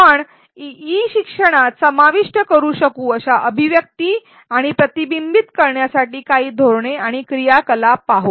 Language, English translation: Marathi, Let us look at some strategies and activities for articulation and reflection that we can include in e learning